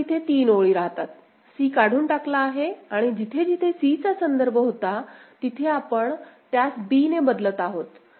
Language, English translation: Marathi, So, it becomes three rows now; c is removed and wherever reference of c was there, we are replacing that with b right